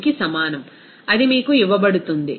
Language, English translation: Telugu, 43, it is given to you